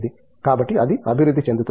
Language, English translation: Telugu, So, that will evolve